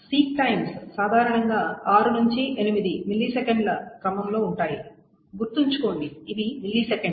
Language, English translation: Telugu, The typical seek times are generally of the order of 6 to 8 milliseconds